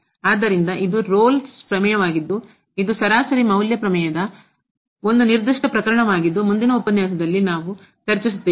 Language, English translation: Kannada, So, this is the Rolle’s Theorem which is a particular case of the mean value theorem which we will discuss in the next lecture